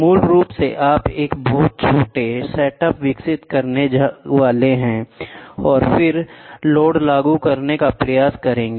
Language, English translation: Hindi, So, basically you are supposed to develop a very small setup and then try to apply load